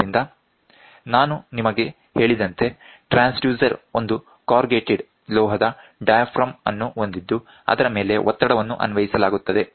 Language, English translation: Kannada, So, as I told you the transducer comprises of a corrugated metal diaphragm on which the pressure is applied